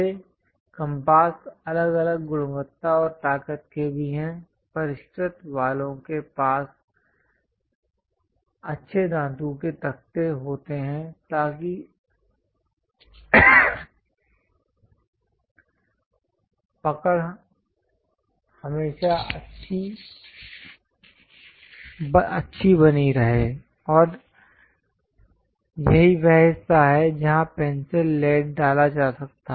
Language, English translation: Hindi, This compasses are of different quality and also strength; the sophisticated ones have nice metallic frames so that the grip always be good, and this is the part where pencil lead can be inserted